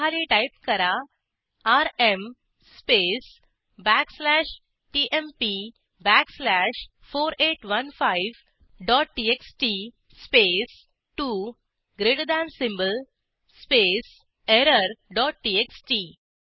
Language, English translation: Marathi, i.e.ls Below it type rm space backslash tmp backslash 4815 dot txt space 2 greater than symbol space error dot txt